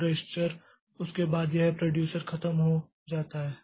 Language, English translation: Hindi, And after that, this register, this is this producer is over